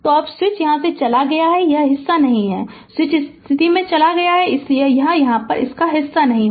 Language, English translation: Hindi, So, now now switch has moved here this part is not there, switch has moved from this position, so this part is not there